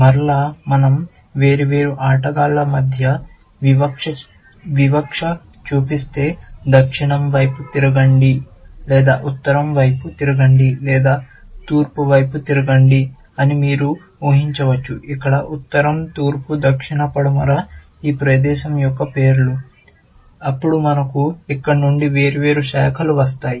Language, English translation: Telugu, Again, you can imagine if we discriminated between the different players, if we said turn of south, or turn of north, or turn of east; where, north, east, south, west are the names of the place, then we would have different branches coming out of here